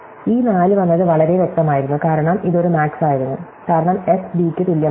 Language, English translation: Malayalam, So, which was very clear this 4 came, because it was a max, because S is not equal to b